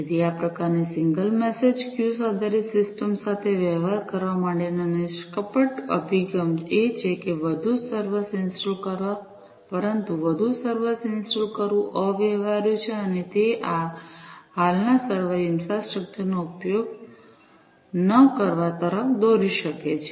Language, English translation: Gujarati, So, a naive approach to deal with this kind of single message queue based system is to install more servers, but installing more servers is impractical, and it might also lead to not proper utilization of this existing server infrastructure